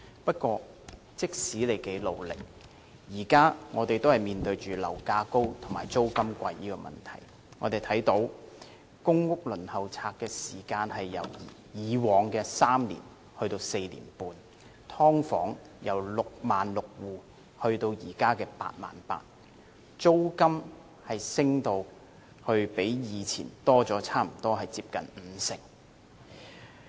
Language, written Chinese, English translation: Cantonese, 不過，即使他多麼努力，市民現時仍然面對樓價高及租金貴的問題，輪候公屋的時間由以往的3年延長至4年半，"劏房"由66000戶增加至現時的88000戶，租金升幅較以前增加了接近五成。, However despite his strenuous efforts members of the public still have to face problems of high property prices and high rents the waiting time for public housing has lengthened from three years to four and a half years the number of households living in sub - divided units has increased from 66 000 to 88 000 and the rate of increase in rent has risen by almost 50 %